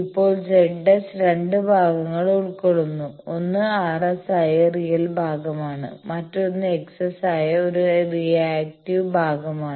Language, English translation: Malayalam, Now, Z S consists of 2 parts; one is the real part that is the R S and another is a reactive part that is the x s